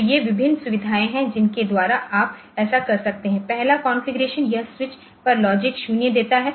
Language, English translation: Hindi, So, these are the various facilities by which you can do this say so, the first configuration so it gives logic 0 on the switches